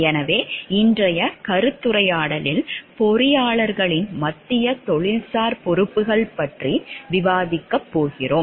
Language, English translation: Tamil, So, in today’s discussion we are going to discuss about the central professional responsibilities of engineers